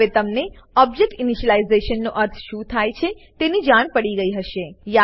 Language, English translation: Gujarati, Now, you would have understood what object initialization means